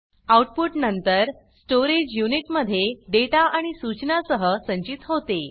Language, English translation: Marathi, The output is then stored along with the data and instructions in the storage unit